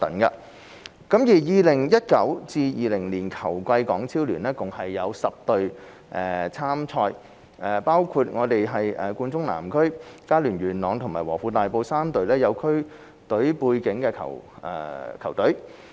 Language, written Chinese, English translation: Cantonese, 在 2019-2020 球季，港超聯共有10隊參賽，包括冠忠南區、佳聯元朗及和富大埔3隊有區隊背景的球隊。, In the 2019 - 2020 football season there were 10 teams competing in HKPL including three teams with district background ie . Kwoon Chung Southern Best Union Yuen Long and Wofoo Tai Po